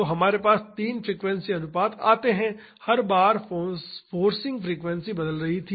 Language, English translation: Hindi, So, we have three frequency ratios forcing frequencies was changing each time